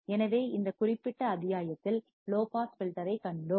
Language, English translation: Tamil, So, in this particular module, we have seen low pass filter